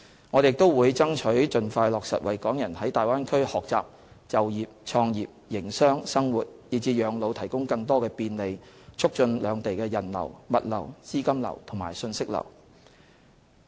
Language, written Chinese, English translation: Cantonese, 我們亦會爭取盡快落實為港人在大灣區學習、就業、創業、營商、生活以至養老提供更多便利，促進兩地人流、物流、資金流和訊息流。, We will further seek facilitation measures for Hong Kong people to study work and start up and operate business live and retire in the Bay Area and thereby facilitating the flow of people goods capital and information between the two places